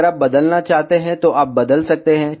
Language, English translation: Hindi, If you want to change, you can change